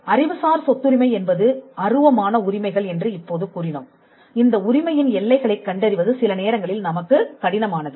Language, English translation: Tamil, Now we said that intellectual property rights are intangible rights and it is sometimes difficult for us to ascertain the contours of this right the boundaries of this right